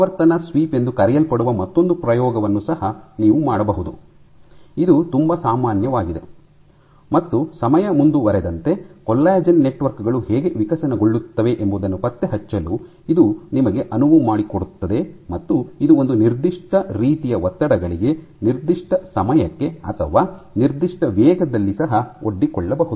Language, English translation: Kannada, You can also do another set of experiments which are called frequency sweep, this is very common, and this is what enables you to track the how the collagen networks would evolve as time progresses and it is exposed to stresses of a certain kind for certain length of time or at a certain rate ok